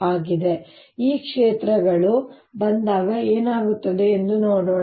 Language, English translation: Kannada, so let us see when these fields come in, what happens